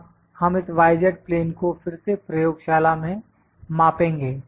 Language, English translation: Hindi, Now, we will measure this y z plane again in laboratory